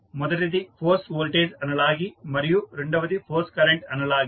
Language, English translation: Telugu, First one is force voltage analogy and second is force current analogy